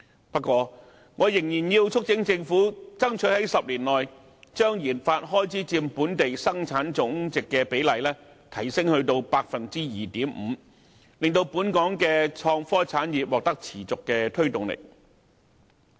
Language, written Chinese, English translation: Cantonese, 不過，我仍然要促請政府爭取在10年內，將研發開支佔本地生產總值的比例提升至 2.5%， 令本港的創科產業獲得持續推動力。, Nevertheless I have to call on the Government to strive to increase the share of RD expenditure to 2.5 % of Gross Domestic Product in a decade so as to sustain momentum for the innovation and technology industries in Hong Kong